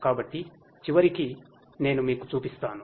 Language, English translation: Telugu, So, I will show you that at the end